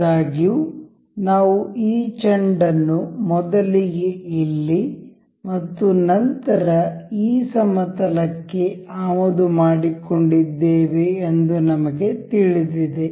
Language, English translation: Kannada, However, as we know that we I have imported this ball for the first and then the this plane